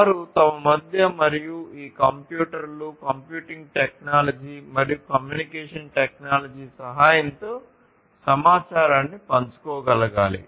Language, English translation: Telugu, They need to be able to share the information between themselves and for doing that with the help of these computers and computing technology and communication technology etc